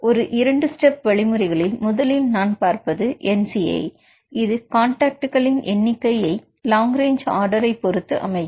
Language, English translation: Tamil, A two step procedure, first we see the nci this is a number of contacts based on the same as long range order, here the distance is 7